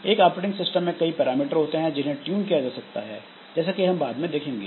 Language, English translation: Hindi, So, in an operating system there are many tunable parameters as we will see later